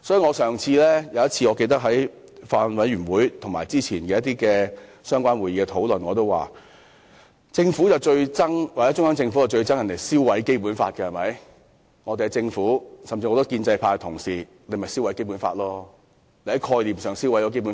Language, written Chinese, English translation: Cantonese, 我記得我曾在法案委員會會議及早前某些相關會議上表示，中央政府最討厭別人燒毀《基本法》，但我們的政府以至許多建制派同事其實正在概念上燒毀《基本法》。, As far as I recall at meetings of the Bills Committee and at some other meetings held earlier I remarked that while the Central Government loathed seeing people burn the Basic Law our Government and many pro - establishment Members were actually burning the Basic Law conceptually